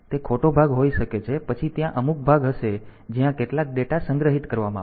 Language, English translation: Gujarati, So, they can be the wrong part then there will some part where will be storing some data